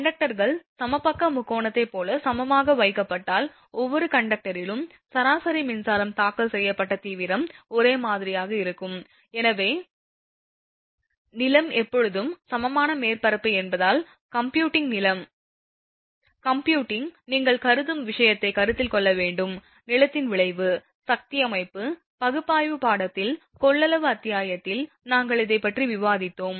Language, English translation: Tamil, Now, if conductors are placed equilaterally, say equilateral triangle the average electric filed intensity at each conductor will be the same because it is equilateral triangle, since the ground actually is at always equipotential surface, while computing is your what you call capacitor thing considering the effect of ground, in the capacitance chapter in power system analysis course all that we have discussed this